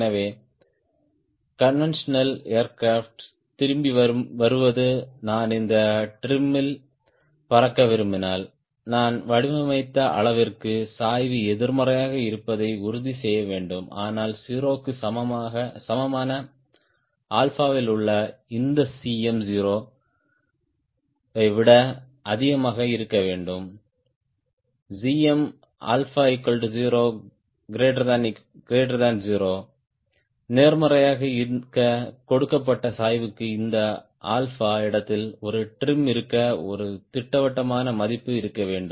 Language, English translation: Tamil, so, coming back to conventional aircraft, you see that if i want to fly at this trim, i need to ensure not only the slope is negative to the magnitude i designed, but also this cm at alpha equal to zero, should be less, should be greater than zero and, to be honest, it should have a definite value for a given slope to have a trim at this alpha